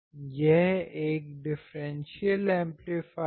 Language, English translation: Hindi, This is a differential amplifier